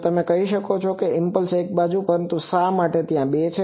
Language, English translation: Gujarati, Now, you can say that impulse is one sided, but why there are 2